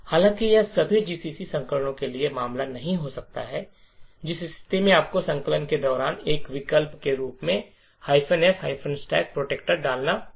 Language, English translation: Hindi, However, this may not be the case for all GCC versions in which case you have to put minus f stack protector as an option during compilation